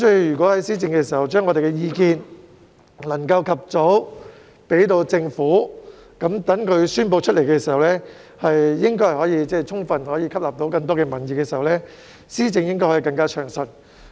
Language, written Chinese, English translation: Cantonese, 如果在政府施政時，我們能及早將意見提交政府，讓政府所宣布的政策可以充分吸納民意，政府的施政便應該可以更暢順。, If we can put our views across to the Government in time when the Government implements its policies so that the policies it announces can fully absorb peoples opinions its policy implementation can probably become smoother